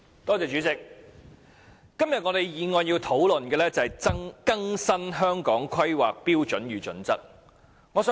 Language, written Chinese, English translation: Cantonese, 代理主席，今天我們討論的是有關更新《香港規劃標準與準則》的議案。, Deputy President the motion under discussion today is about updating the Hong Kong Planning Standards and Guidelines HKPSG